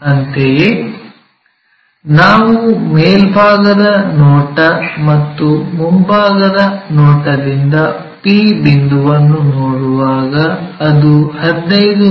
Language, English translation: Kannada, Similarly, p point when we are looking from top view that is in front, so 15 mm below